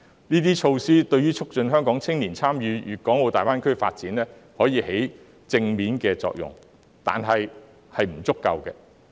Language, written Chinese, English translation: Cantonese, 這些措施對促進香港青年參與粵港澳大灣區的發展發揮正面作用，但這仍是不足夠的。, These measures will bring positive effect on promoting the participation of the young people of Hong Kong in the development of GBA yet they are still inadequate